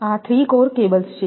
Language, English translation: Gujarati, This is three core cables